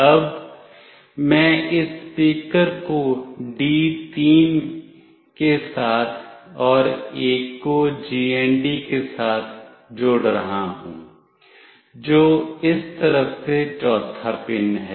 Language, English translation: Hindi, Now, I will be connecting this speaker with D3 and one with GND which is the fourth pin from this side